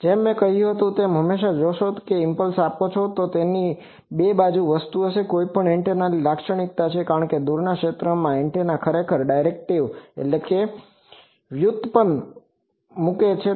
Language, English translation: Gujarati, As I said always you see if you give an impulse, it will have this double sided thing that is typical of any antenna, because antenna in the far field actually puts derivative